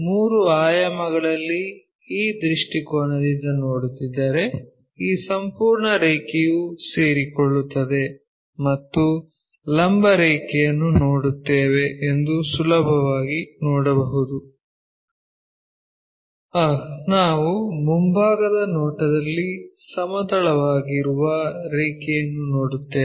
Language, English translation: Kannada, In three dimension we can easily see that if we are looking from this view, this entire line coincides and we will see a vertical line,we see a horizontal line in the front view